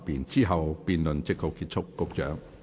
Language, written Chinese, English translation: Cantonese, 之後辯論即告結束。, Thereafter the debate will come to a close